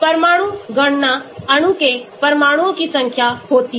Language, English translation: Hindi, Atom count; number of atoms the molecule has